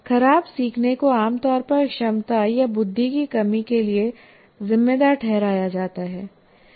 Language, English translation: Hindi, Poor learning is usually attributed to a lack of ability or intelligence